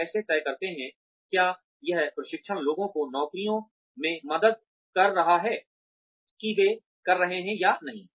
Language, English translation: Hindi, How do we decide, whether this training is helping people in the jobs, that they are doing or not